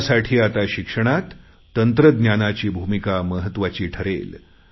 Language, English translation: Marathi, Likewise, technology plays a very big role in education